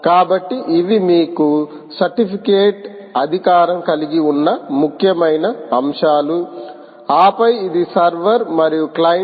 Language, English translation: Telugu, you have a certificate authority, and then this is a server and the client